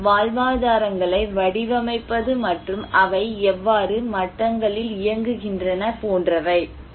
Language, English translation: Tamil, And what are the shaping livelihoods and how they are operating at levels